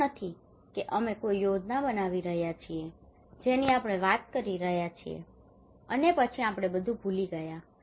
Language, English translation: Gujarati, It is not that we are making a plan we are talking and then we forgot about everything